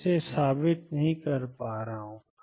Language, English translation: Hindi, I am not proving it